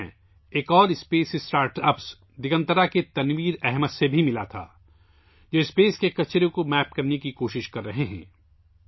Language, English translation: Urdu, I also met Tanveer Ahmed of Digantara, another space startup who is trying to map waste in space